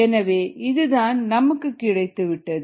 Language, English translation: Tamil, that's what we are approximating